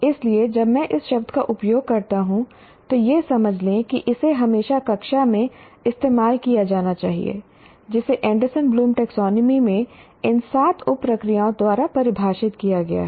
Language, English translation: Hindi, So when I use the word understand, it should always be used in the classroom in the context of what has been defined by the seven sub processes in the Anderson Bloombe taxonomy